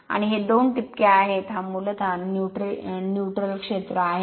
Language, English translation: Marathi, And these two dots are here, this is basically the neutral zone right